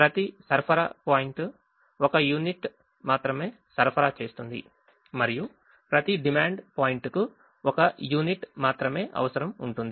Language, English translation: Telugu, each supply points supplies only one unit and each demand point requires only one unit